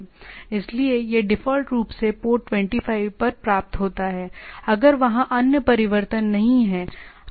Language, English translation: Hindi, So, it receives at port 25, by default if not there are other changes in there